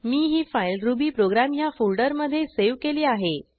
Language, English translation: Marathi, This program will be saved in rubyprogram folder as mentioned earlier